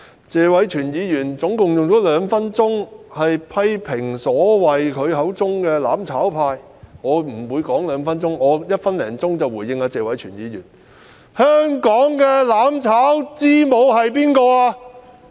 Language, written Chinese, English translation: Cantonese, 謝偉銓議員合共花了兩分鐘批評他口中所謂的"攬炒派"，我不會用兩分鐘時間回應，只需一分多鐘已經足夠。, Mr Tony TSE has spent a total of two minutes criticizing what he referred to as the so - called mutual destruction camp and instead of taking two minutes to respond I will do so in just a minute or so